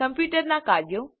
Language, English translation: Gujarati, Functions of a computer